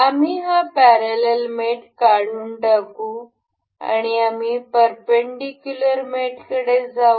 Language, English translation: Marathi, We will remove this parallel mate and we will move on to perpendicular mate